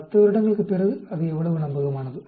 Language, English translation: Tamil, After 10 years how reliable it is